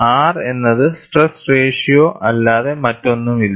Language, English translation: Malayalam, R is nothing but stress ratio